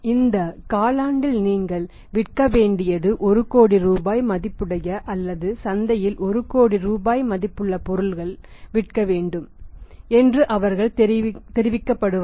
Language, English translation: Tamil, They would be communicated that this quarter you have to sell say one crore rupees worth of the sales or but 1 crore rupees worth of the goods to sell in the market